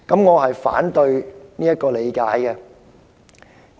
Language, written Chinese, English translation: Cantonese, 我反對她的理解。, I oppose her interpretation